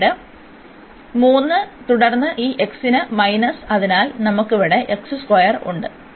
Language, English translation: Malayalam, So, here we have x and x minus 1 is equal to 0